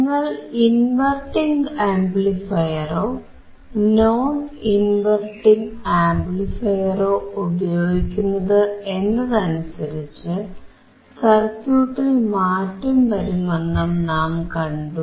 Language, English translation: Malayalam, I have shown you that if you use inverting or non inverting amplifier, based on that your circuit would change